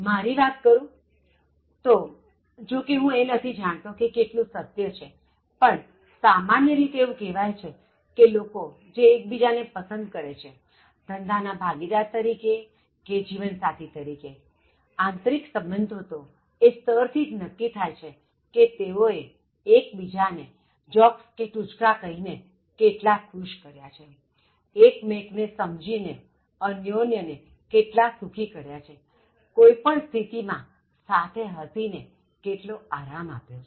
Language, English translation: Gujarati, In personal, like, I don’t know how far it is true but they generally say that people who like each other, whether as business partners or as marital partners, the initial relationship is set, it is decided, determined by the level in which they made each other happy, by telling jokes, by setting the frequency level in which they understood each other that they can make the other person happy and comfortable by cracking jokes, by laughing at situations together